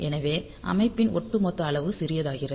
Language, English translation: Tamil, So, overall size of the system becomes smaller